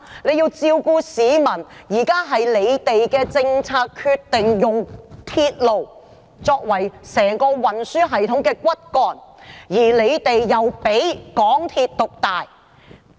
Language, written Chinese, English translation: Cantonese, 現在是政府政策決定用鐵路作為整個運輸系統的骨幹，並讓港鐵獨大。, Now the Government has made it a policy to use railway as the backbone of the entire transport system and grant MTRCL an overwhelmingly dominant role